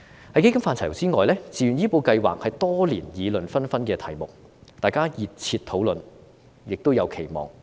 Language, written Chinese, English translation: Cantonese, 在基金範疇之外，自願醫保計劃是多年議論紛紛的題目，大家熱切討論，亦有期望。, Outside the realm of the funds the Voluntary Health Insurance Scheme VHIS has been a subject heatedly discussed with expectations for many years